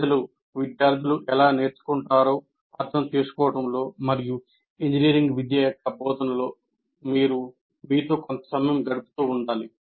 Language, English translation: Telugu, And you have to keep investing some time in yourself, in understanding how people learn and pedagogy of engineering education